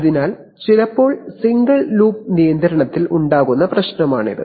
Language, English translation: Malayalam, So this is the problem which arises in single loop control sometimes